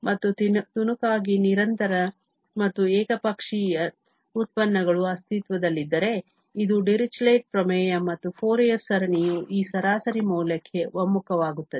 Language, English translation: Kannada, And, if piecewise continuous and one sided derivatives exist, this is the Dirichlet theorem and the Fourier series converges to this average value